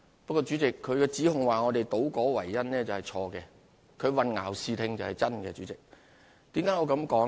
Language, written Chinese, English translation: Cantonese, 不過，主席，他指控我們倒果為因，是錯誤的；他混淆視聽，倒是真的。, However President his accusation that we have reversed cause and effect is wrong; what is true is that he has obscured the facts